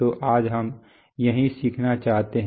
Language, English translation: Hindi, So this is what we wish to learn today